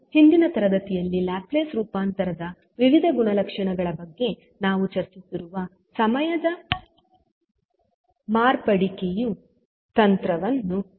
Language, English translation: Kannada, Now, we will use time differentiation technique which we discussed in the previous classes when we were discussing about the various properties of Laplace transform